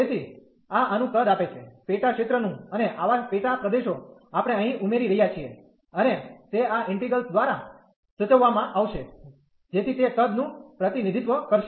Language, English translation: Gujarati, So, this gives the volume of this smaller sub region and such sub regions we are adding here and that will be denoted by this integral, so that will represent the volume